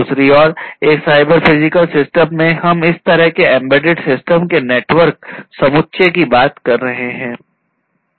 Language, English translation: Hindi, On the other hand in a cyber physical system, we are talking about a network set of such kind of embedded systems